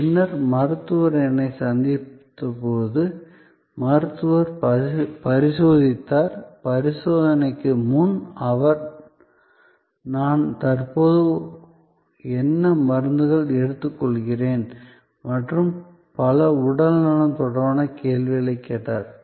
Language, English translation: Tamil, And then, when the doctor met me, doctor examine, before examination he asked me certain health related questions, what medicines I am currently taking and so on